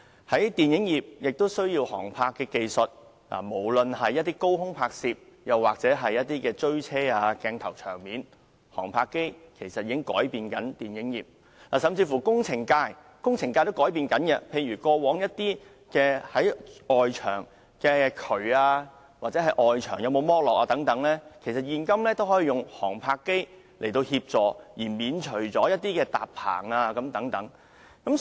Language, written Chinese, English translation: Cantonese, 此外，電影業亦需要航拍技術，無論是高空拍攝或汽車追逐的鏡頭和場面，航拍機其實正在改變電影業；甚至是工程界也正在改變，例如，如要了解位於外牆的渠管或外牆剝落的情況等，現今已可以用航拍機協助，免除過往的搭棚工序。, Whether speaking of aerial filming or capturing car chase shots or scenes drones are actually changing the movie production industry . Even the engineering sector is undergoing changes . For example with the aid of a drone one may now ascertain the conditions of sewage pipes or the degree of concrete spalling on external walls and spare the scaffolding works as required in the past